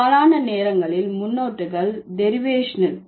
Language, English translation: Tamil, Most of the time the prefixes are derivational